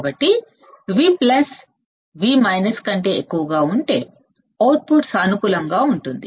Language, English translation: Telugu, So, if V plus is greater than V minus output goes positive it is correct right